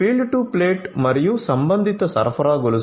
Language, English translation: Telugu, So, field to plate and the corresponding supply chain